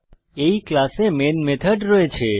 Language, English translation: Bengali, In this class I have the main method